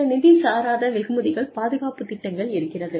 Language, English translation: Tamil, Some non financial rewards are, the protection programs